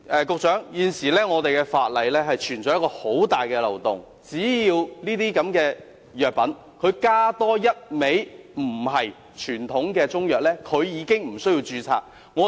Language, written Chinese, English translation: Cantonese, 局長，現有法例存在一個很大的漏洞，只要這些藥品加入多一種非傳統中藥，已經不需要註冊。, Secretary there is a major loophole in the existing legislation that is these medicines are not required to register so long as a non - traditional Chinese medicine ingredient is added to them